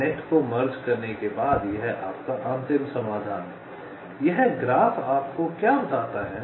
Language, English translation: Hindi, so this is your, your ultimate solution after merging the nets: what this graph tells you